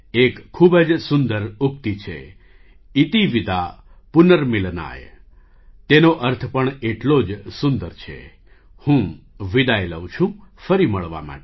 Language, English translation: Gujarati, There is a very lovely saying – ‘Iti Vida Punarmilanaaya’, its connotation too, is equally lovely, I take leave of you, to meet again